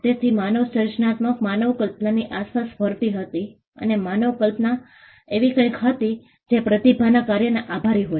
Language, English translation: Gujarati, So, human creativity revolved around human imagination and human imagination was something that was attributed to the work of a genius